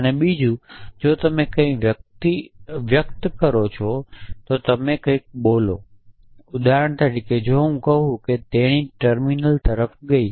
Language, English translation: Gujarati, And secondly if you express something if you utter something for example, if I say she walked over towards a terminal